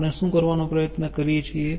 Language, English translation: Gujarati, what we try to do